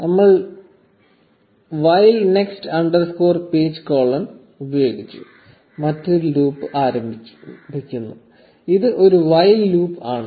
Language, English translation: Malayalam, And we say while next underscore page colon and we begin another loop, a while loop this time